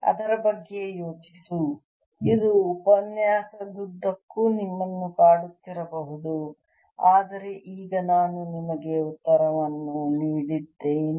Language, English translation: Kannada, it may have bothered you throughout the lecture, but now i have given you the answer